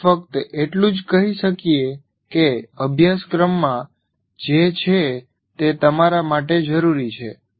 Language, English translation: Gujarati, You can only say the curriculum says it is important for you